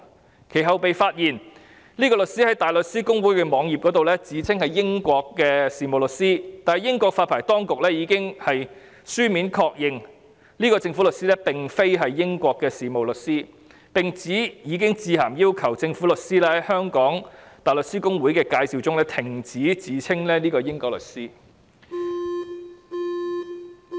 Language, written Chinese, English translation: Cantonese, 其後，這位律師被發現在香港大律師公會的網頁自稱是英國的事務律師，但英國發牌當局已經書面確認，這位政府律師並非英國的事務律師，並指已經致函要求該政府律師在香港大律師公會的網頁介紹中停止自稱為英國律師。, Later this lawyer was discovered to claim that she was a solicitor in the United Kingdom on the web page of the Hong Kong Bar Association . The Solicitors Regulation Authority of the United Kingdom how - ever confirmed in writing that this Government Counsel was not a solicitor in the United Kingdom and they had written to this Government Counsel to tell her that she should not claim to be a solicitor of the United Kingdom on the web page of the Hong Kong Bar Association